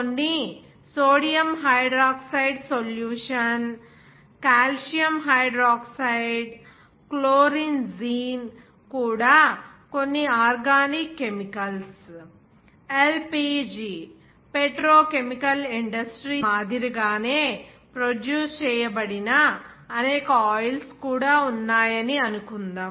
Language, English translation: Telugu, Like to produce, suppose that some sodium hydroxide solution, calcium hydroxide, even chlorine gene some organic chemicals LPG even like petrochemical industries there are several oils those are produced